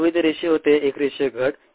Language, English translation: Marathi, earlier it was linear, a linear decrease